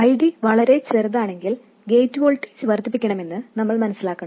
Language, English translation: Malayalam, What we realize is if ID is too small we had to increase the gate voltage